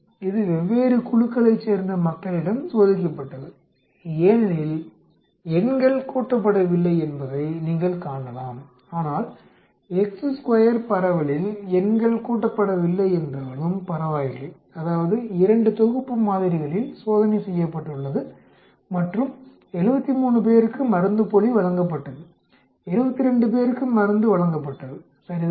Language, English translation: Tamil, So, we have this type of situation, it was tested on different groups of people as you can see the numbers, do not add up but with the chi square distribution does not matter even if that numbers do not add up, that means 2 sets of samples on which it was tested and the placebo was given to 73 people the drug was given to 72 people, right